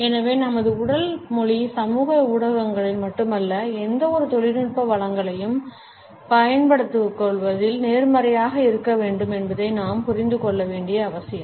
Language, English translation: Tamil, And therefore, it is important for us to understand that our body language not only on social media, but in the use of any technological resources should be positive